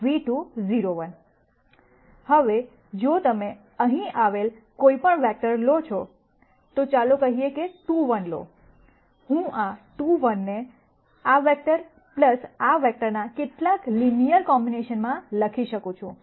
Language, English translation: Gujarati, Now, if you take any vector that I have here, let us say take 2 1, I can write 2 1 as some linear combination, of this vector plus this vector